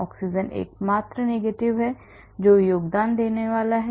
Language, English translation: Hindi, oxygen is the only negative that is going to be contributing